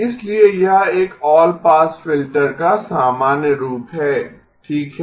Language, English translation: Hindi, So this is the general form of an all pass filter okay